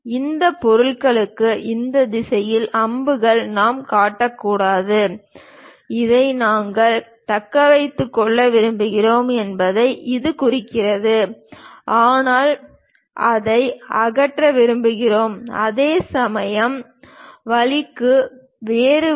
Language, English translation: Tamil, We should not show arrows in this direction for this object; it indicates that we want to retain this, but we want to remove it, whereas the case is the other way around